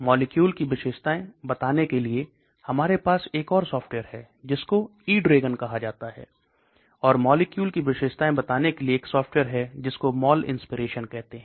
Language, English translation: Hindi, Then we have a another property prediction that is called a eDragon, and there is another software for property protection that is called Molinspirational